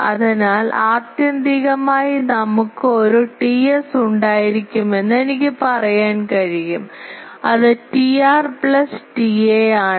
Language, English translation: Malayalam, So, I can say that the whole thing ultimately we will have a T s, which is T r plus T a